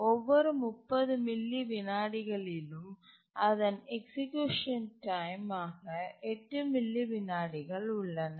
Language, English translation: Tamil, It's still, it is 8 milliseconds, execution time every 30 milliseconds